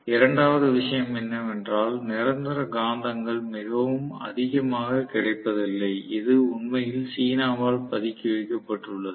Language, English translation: Tamil, And second thing is permanent magnets are not very freely available and it is actually horded by China